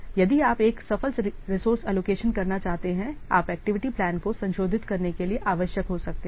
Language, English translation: Hindi, So, if you want to make a successful resource allocation, it might be necessary to revise the activity plan